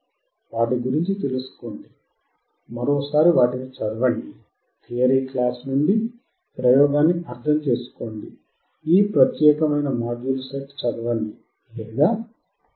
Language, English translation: Telugu, Learn about it, read about it once again from the theory class, understand the experiment, read this particular set of module or look at it